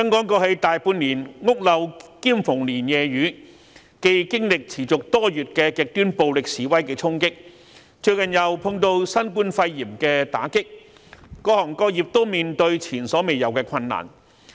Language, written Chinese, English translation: Cantonese, 過去大半年，香港屋漏兼逢連夜雨，既經歷持續多月極端暴力示威的衝擊，最近又碰到新冠肺炎的打擊，各行各業均面對前所未有的困難。, Hong Kong has suffered one blow after another for the better half of last year . After months of extremely violent protests it is hit by the novel coronavirus epidemic recently . Various industries are facing unprecedented hardships